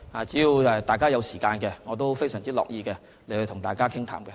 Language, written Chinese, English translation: Cantonese, 只要大家有時間，我也非常樂意與大家傾談。, As long as Members have the time I am ready to have discussions